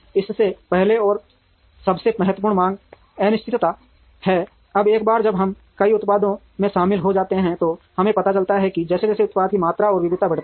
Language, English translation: Hindi, First and foremost is demand uncertainty, now the once one we get into multiple products, here we realize that as the product volumes and variety increases